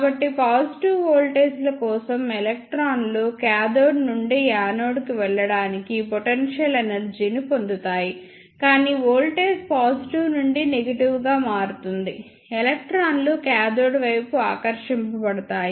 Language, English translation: Telugu, So, for positive voltages, the electrons will get potential energy to move from cathode to anode, but as voltage changes from positive to negative, the electrons will be attracted towards the cathode